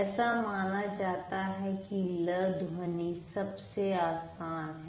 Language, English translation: Hindi, It's believed that lir sound is the easiest way